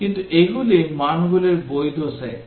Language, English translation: Bengali, But these are the valid set of values